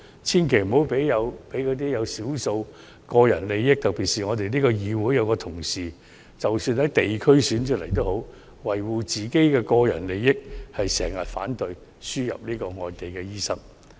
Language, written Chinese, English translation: Cantonese, 千萬不要讓少數為了維護個人利益的人誤導，特別是我們議會內有一位議員，即使他從地區直選中勝出，但為了維護個人利益，經常反對輸入外地醫生。, They should not be misled by a small number of people who only aim to safeguard their personal benefits especially one Member in this Council who despite winning his seat in a geographical direct election always opposes the importation of overseas doctors for the sake of safeguarding his personal interests